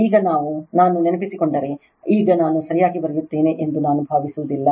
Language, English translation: Kannada, Now, if I recall, now I will not really hope I write correctly